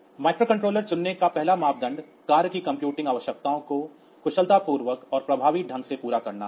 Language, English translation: Hindi, So, for the criteria for choosing a micro controller is first of all the meeting the computing needs of the task efficiently and cost effectively